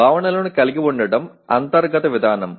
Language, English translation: Telugu, Having the concepts is an internal mechanism